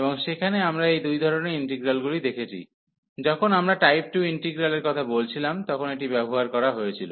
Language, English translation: Bengali, And there we have seen these two types of integrals; this was used when we were talking about type 2 integrals